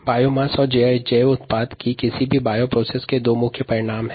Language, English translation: Hindi, biomass, or cells and bio products, and these are the two important outcomes of any bio process